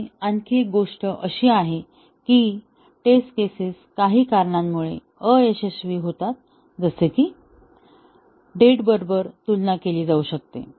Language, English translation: Marathi, And also, another thing is that, the test cases fail for some reasons like, it may be comparing with date